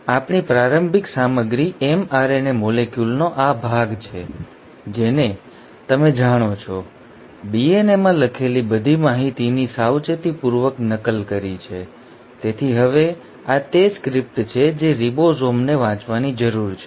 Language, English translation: Gujarati, Now our starting material is this stretch of mRNA molecule which has, you know, meticulously copied all the information which was written in the DNA, so this is now the script which the ribosome needs to read